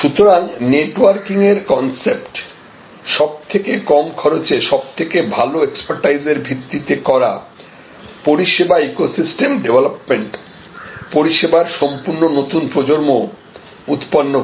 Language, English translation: Bengali, So, the concept of networking, service ecosystem development based on best expertise at lowest cost will generate complete new generations of services